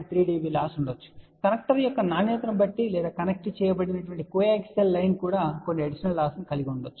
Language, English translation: Telugu, 3 db depending upon the quality of the connecter or may be even that connected coaxial lines also will have some additional losses